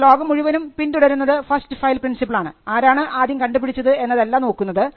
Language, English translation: Malayalam, So, the world today follows the first to file principle regardless of who invented the invention first